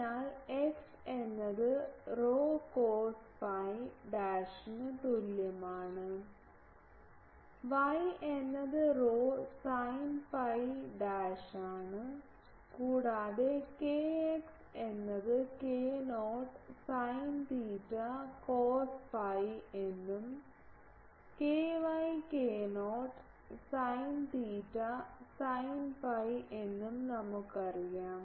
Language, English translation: Malayalam, So, x is equal to rho cos phi dash, y is rho sin phi dash and also we know k x is k not sin theta cos phi and k y is k not sin theta sin phi